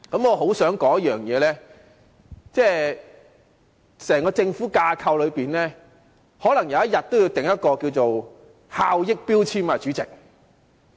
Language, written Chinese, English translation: Cantonese, 我想說一點，就是在整個政府架構內，可能有一天也要設立效益標籤制度，主席。, I wish to make a point and that is probably it may be necessary to set up an efficiency labelling system in the entire government structure one day President